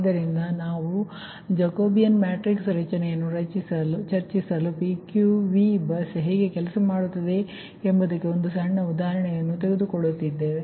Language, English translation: Kannada, so later we will discuss that formation of jacobian matrix, taking a small example, that how pp, ppqv bus work